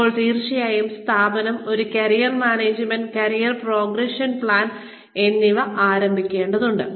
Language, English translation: Malayalam, Then definitely, the organization needs to start putting, a Career Management, career progression plan, in place